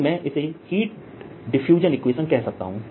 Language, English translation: Hindi, ok, so this is the i can call heat diffusion equation